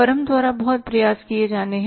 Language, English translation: Hindi, Lot of efforts have to be put by the firm